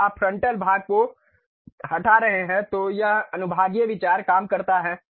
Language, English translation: Hindi, When you are removing the frontal portion, that is the way sectional views works